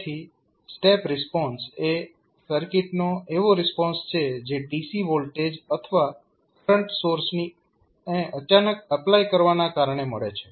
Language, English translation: Gujarati, So, step response is the response of the circuit due to sudden application of dc voltage or current source